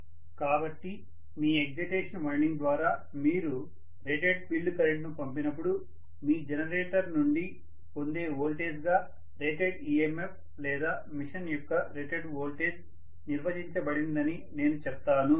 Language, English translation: Telugu, So, I would say that the rated EMF or rated voltage of the machine is defined as that voltage that is obtain from your generator when you are passing rated field current through your excitation winding and then you are driving the generator at rated speed